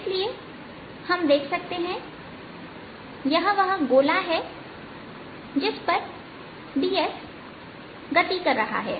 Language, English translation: Hindi, so so we can see this is the circle at which d s is moving